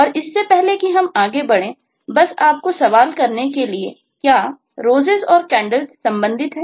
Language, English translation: Hindi, and just before we move on, just to put the question to you: are roses and candles related